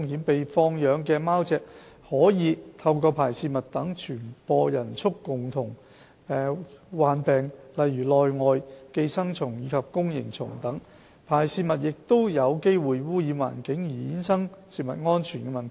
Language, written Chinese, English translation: Cantonese, 被放養的貓隻可以透過排泄物等傳播人畜共通病，例如內外寄生蟲及弓形蟲等。排泄物亦有機會污染環境而衍生食物安全的問題。, The cats so kept may spread zoonotic diseases such as ecto - and endo - parasites and Toxoplasma gondii through their excreta which may also pollute the environment and result in food safety problems